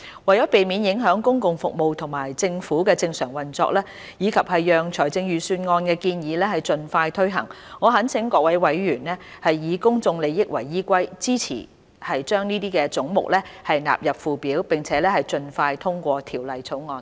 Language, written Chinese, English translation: Cantonese, 為免影響公共服務及政府的正常運作，以及讓財政預算案的建議盡快推行，我懇請各位委員以公眾利益為依歸，支持將這些總目納入附表，並盡快通過《條例草案》。, To avoid any disruptions to public services and the normal functioning of the Government and ensure the early implementation of the proposals in the Budget I implore Members to put public interest above all else support the sums of these heads standing part of the Schedule and pass the Bill expeditiously